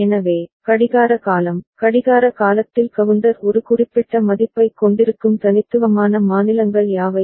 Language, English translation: Tamil, So, what are the then unique states for which the clock period, during the clock period the counter holds a specific value